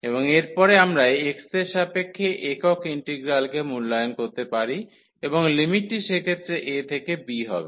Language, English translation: Bengali, And then, at the end we can evaluate the single integral with respect to x and the limit will be a to b in that case